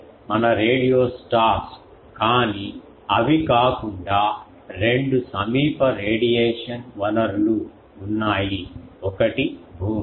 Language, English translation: Telugu, they are our radio stars they are but apart from that there are two nearby sources of radiation, one is the ground